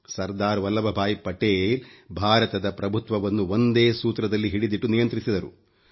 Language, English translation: Kannada, Sardar Vallabhbhai Patel took on the reins of weaving a unified India